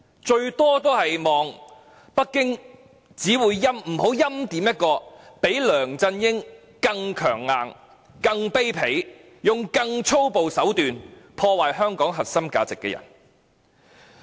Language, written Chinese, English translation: Cantonese, 最多只能期望北京不要欽點一個較梁振英更強硬、更卑鄙，用更粗暴手段破壞香港核心價值的人。, The most we can hope for is that Beijing is not going to appoint someone when compared with LEUNG Chun - ying who is even more hard - line more filthy and destroys Hong Kongs core values more brutally